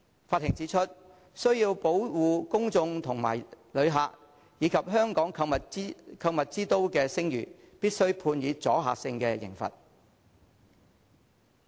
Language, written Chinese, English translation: Cantonese, 法庭指出需要保護公眾和旅客，以及香港購物之都的聲譽，必須判以阻嚇性刑罰。, According to the court in order to protect the public visitors and Hong Kongs reputation as a shoppers paradise it was necessary to impose a deterrent sentence